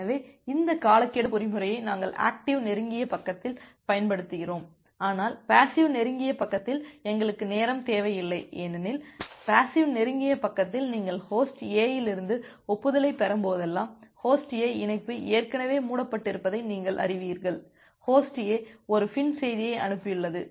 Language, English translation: Tamil, So, we apply this timeout mechanism at the active close side, but at the passive close side we do not require the timeout because, in the passive close side whenever you are getting an acknowledgement from Host A, you know that Host A has already closed it is connection, Host A has send a FIN message itself